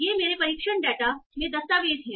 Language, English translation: Hindi, So you are the documents in my test data